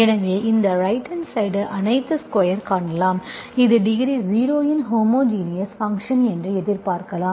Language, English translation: Tamil, So you can see this right hand side, all squares, this is square, square, square, so you can expect this is homogeneous function of degree 0